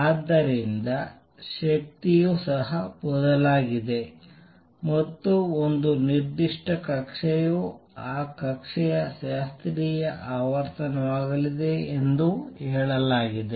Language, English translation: Kannada, And therefore, the energy is also going to change and what is claimed is that for a particular orbit is going to be the frequency of that orbit classical